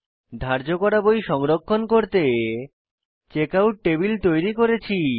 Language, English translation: Bengali, I have created Checkout table to store borrowed books